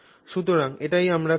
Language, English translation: Bengali, So, this is what we will do